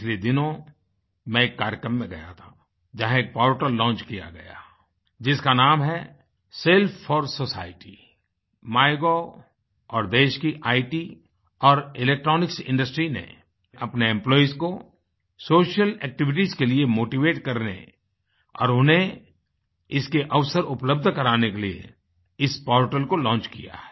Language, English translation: Hindi, Recently, I attended a programme where a portal was launched, its name is 'Self 4 Society', MyGov and the IT and Electronics industry of the country have launched this portal with a view to motivating their employees for social activities and providing them with opportunities to perform in this field